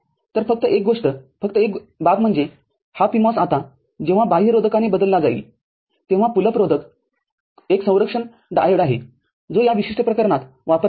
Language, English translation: Marathi, So, only thing, only issue is that this PMOS now when is replaced by the external resistance, the pull up resistance there is a protective diode which is used in this particular case